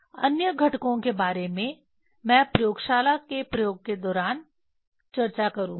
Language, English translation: Hindi, About other components I will discuss during the experiment in the laboratory